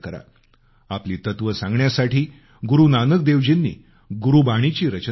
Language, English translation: Marathi, In order to convey his ideals, Guru Nanak Dev ji composed the Gurbani